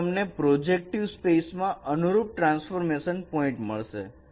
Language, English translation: Gujarati, So you get the corresponding transformation point in the projective space